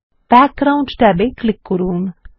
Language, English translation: Bengali, Click the Background tab